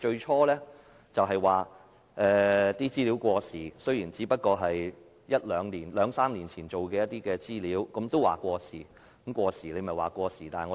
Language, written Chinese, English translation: Cantonese, 他們最初表示資料過時，雖然那些只不過是兩三年前的資料，但政府也說過時。, Initially they said that the information was obsolete and even though the information was released only two or three years ago the Government still considered it obsolete